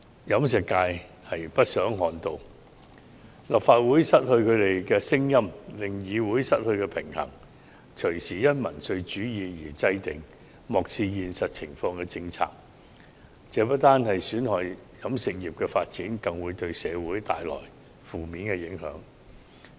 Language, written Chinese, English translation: Cantonese, 飲食業不想看到立法會失去他們的聲音，令議會失去平衡，因民粹主義而制訂漠視現實情況的政策，這不單損害飲食業的發展，更會對社會帶來負面影響。, The catering sector does not want to lose its voice in the Council as that will upset the balance in the Council . If policies are subject to populism without taking into account the reality not only will they hinder the development of the catering industry but will also bring negative impacts on society